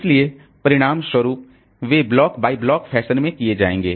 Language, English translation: Hindi, So, as a result, they will go in a block by block fashion